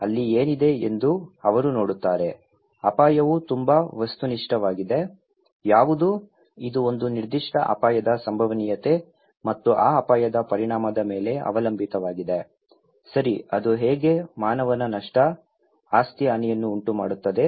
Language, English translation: Kannada, They see what is there so, risk is very objective, what is; it depends on the probability of a particular hazard and the consequence of that hazard, okay that how it would cause human losses, property damage